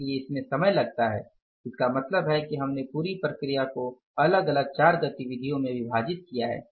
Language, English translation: Hindi, , it means we have divided the whole process into different four activities